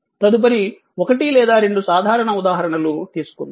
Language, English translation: Telugu, So, next take a 1 or 2 simple example